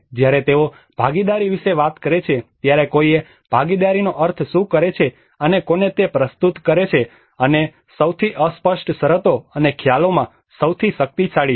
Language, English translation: Gujarati, When they talk about participation, one has to interpret exactly what participation means and to whom it renders and the most ambiguous terms and the most powerful of concepts